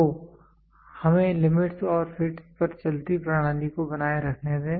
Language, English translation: Hindi, So, let us keep moving system on limits and fits